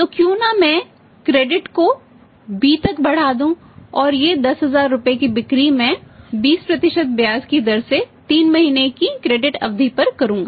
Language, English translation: Hindi, So, why not I should extend the credit to B and this 10000 rupees sales I will make on the credit period of 3 months credit period of 3 months at the rate of 20% interest